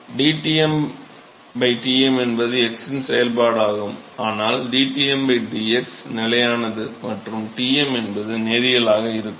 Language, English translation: Tamil, dTm by Tm is a function of x, but dTm by dx is constant and